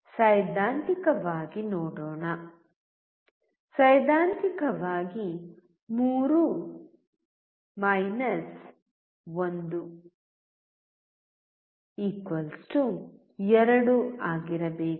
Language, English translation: Kannada, Let us see theoretically; theoretically should be 3 1=2